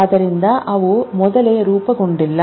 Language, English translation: Kannada, They are not pre formed